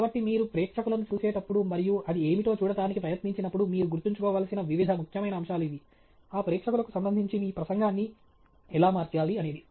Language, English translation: Telugu, So, these are the various important aspects that you need to keep in mind when you look at an audience, and try to see what it is that… how you need to reposition your talk with respect to that audience